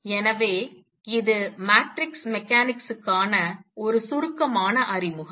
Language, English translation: Tamil, So, this is a brief introduction to matrix mechanics